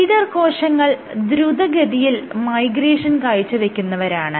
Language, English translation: Malayalam, So, the leader cells exhibited faster migration rate